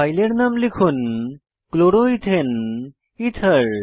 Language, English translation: Bengali, Enter the file name as Chloroethane ether